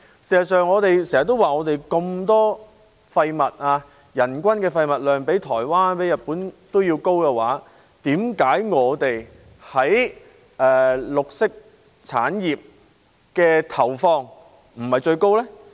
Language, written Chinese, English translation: Cantonese, 事實上，我們經常說，我們有這麼多廢物，人均廢物量比日本和台灣還要高，為何我們在綠色產業的投放卻不是最高？, They are mingy so to speak . In fact as often said we have so much waste that its per - capita quantity is higher than those of Japan and Taiwan . Why on the contrary is our input into the green industries not the highest?